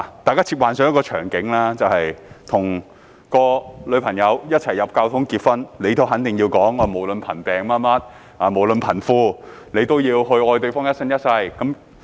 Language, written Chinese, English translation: Cantonese, 大家試想象一個場景，你跟女朋友走進教堂，結婚時肯定要說"無論貧富等，都要愛對方一生一世"。, We may imagine a scenario . When you and your girlfriend walk down the aisle during the marriage ceremony you surely have to say something like for richer for poorer will love each other forever and ever